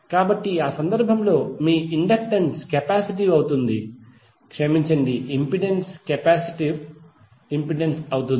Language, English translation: Telugu, So in that case your inductance would be capacitive sorry the impedance would be capacitive impedance